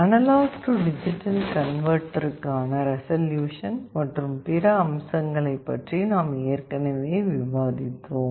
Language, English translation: Tamil, We have already discussed about the resolution and other aspects of analog to digital converter